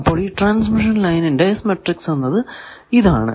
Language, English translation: Malayalam, So, this is the S matrix you remember transmission line